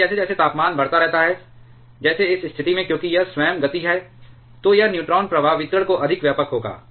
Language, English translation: Hindi, But as the temperature keeps on increasing, like in this situation because of it is own motion it will find this neutron flux distribution to be much wider